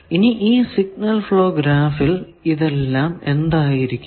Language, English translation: Malayalam, Now, in the signal flow graph what will be these